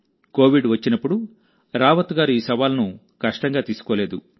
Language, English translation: Telugu, When Covid came, Rawat ji did not take this challenge as a difficulty; rather as an opportunity